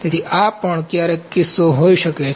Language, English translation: Gujarati, So, this can also be the case sometimes